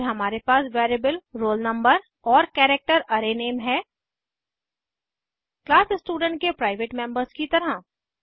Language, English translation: Hindi, Then we have an integer variable roll no and character array name, as private members of class student